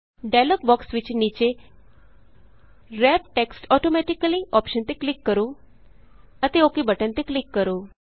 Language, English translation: Punjabi, At the bottom of the dialog box click on the Wrap text automatically option and then click on the OK button